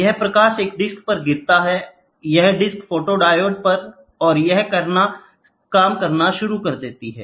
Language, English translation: Hindi, This light falls on a disc so, this disc is on photodiode and it starts doing, ok